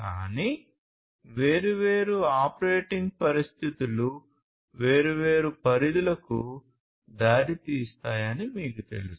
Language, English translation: Telugu, But, you know different operating conditions will have different will result in different ranges and so on